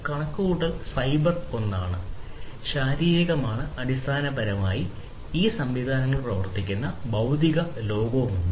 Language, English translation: Malayalam, So, computational is the cyber one and physical is basically the physical world in which these systems are operating, physical world